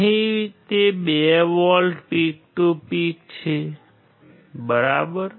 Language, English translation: Gujarati, Here it is 2 volts peak to peak right